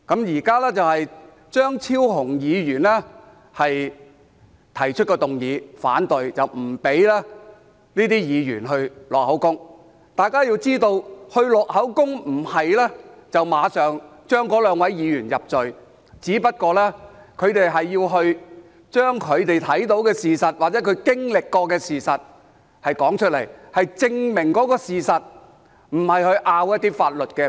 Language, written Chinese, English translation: Cantonese, 現在張超雄議員提出議案反對，拒絕讓這些保安員錄取口供，大家必須知道，錄取口供不等於馬上判該兩位議員入罪，只是要求他們說出所看到或經歷的事實，是證明事實，而不是爭拗法律觀點。, All of us should know that giving evidence is not equivalent to ruling immediately that the two Honourable Members are convicted . They are only requested to state the fact that they have seen or experienced . The aim is to prove the fact instead of arguing on a legal point of view